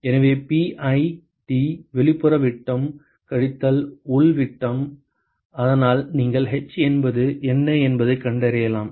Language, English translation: Tamil, So, pi D the outer diameter minus the inner diameter so using that you can find out what the h is